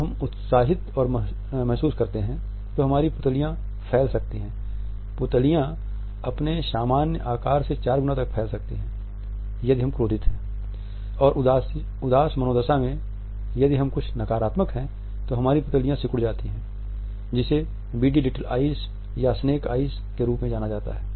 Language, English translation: Hindi, When we feel excited our pupils can dilate; the pupils can dilate up to four times their normal size if we are angry and in a depressed mood we have certain negativity then our pupils contract to what is known as ‘beady little eyes’ or ‘snake eyes’